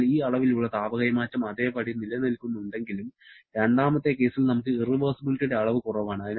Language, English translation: Malayalam, Therefore, despite this amount of heat transfer remaining the same, we are having lesser amount of irreversibility in the second case